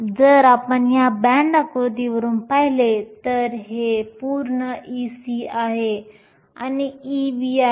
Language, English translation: Marathi, If you see from this band diagram, this whole thing is e c, this is e v